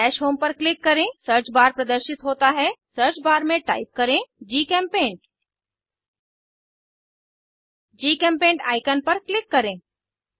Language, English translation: Hindi, Click on Dash home Search bar appearsIn the Search bar type GChemPaint Click on the GChemPaint icon